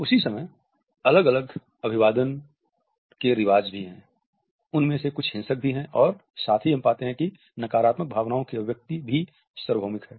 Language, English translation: Hindi, At the same time there are different greeting customs, some of them even violent and at the same time we find that the expression of negative emotions is also not universal